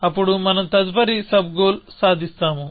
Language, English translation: Telugu, Then, we will achieve the next sub goal